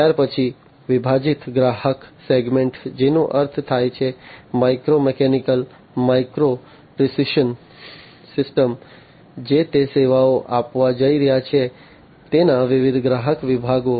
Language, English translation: Gujarati, Thereafter, the segmented customer segment which means like the micro mechanical micro sorry micro precision systems that it is going to serve, the different customer segments of it